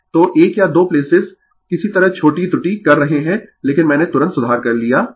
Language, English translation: Hindi, So, 1 or 2 placesam making small error somehow, but I have rectified right immediately